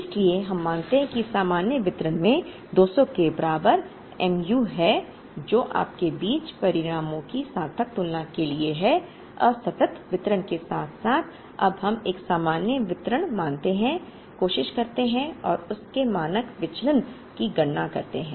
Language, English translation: Hindi, So, we assume that the normal distribution has mu equal to 200, for a meaningful comparison of results between you assuming a discrete distribution as well as assuming a normal distribution we now, try and compute the standard deviation of that